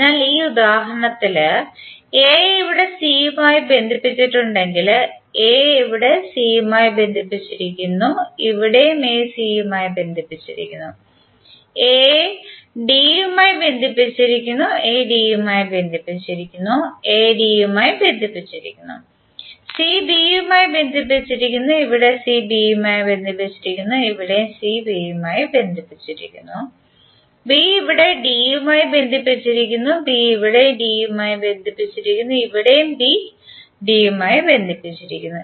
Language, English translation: Malayalam, So in this example if a is connected to c here, a is connected to c here and a is connected to c here, a is connected to d, a is connected to d and a is connected to d, c is connected to b, here c is connected to b and here also c is connected to b, b is connected to d here, b is connected to d here and b is connected to d here